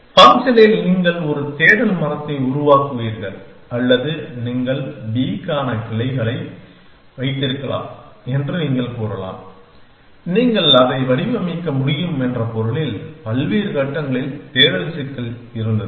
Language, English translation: Tamil, You would generate a search tree in the process or you can say pick you can have branches for b at the sense you can formulate it was the search problem at various stages